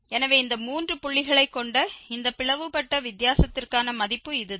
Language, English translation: Tamil, So, that is the value here for this divided difference having these three points